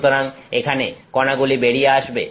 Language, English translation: Bengali, So, this is where the particles are coming